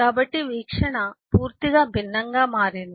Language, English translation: Telugu, So the view has become completely different